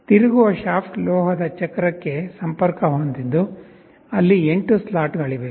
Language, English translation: Kannada, The rotating shaft is connected to the metal wheel where there are 8 slots